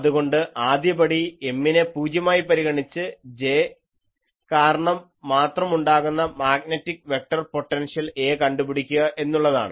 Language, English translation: Malayalam, So, the procedure I am not think, so, first procedure is Find A, the magnetic vector potential due to J only that time assume that M is 0